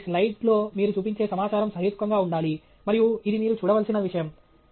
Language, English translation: Telugu, So, the amount of information you show on your slide should be reasonable and that’s something that you should look at